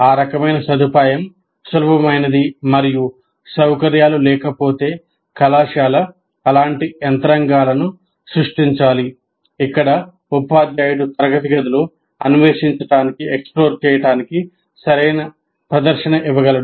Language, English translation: Telugu, And one should, if the facilities are not there, the college should create such mechanisms where teacher can demonstrate right in the classroom to explore